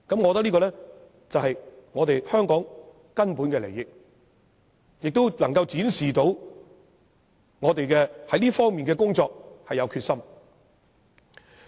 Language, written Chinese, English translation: Cantonese, 我認為這是香港根本的利益，而且能夠展示我們對這方面的工作是有決心的。, In my view this is the fundamental interest of Hong Kong which can show our determination in this aspect of work